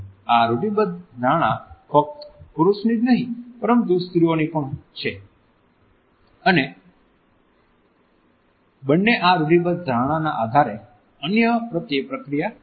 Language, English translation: Gujarati, These stereotypes are widely held not only by men, but also interestingly by women and both react towards others on the basis of these stereotypes